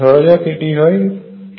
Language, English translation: Bengali, Which comes out to be 0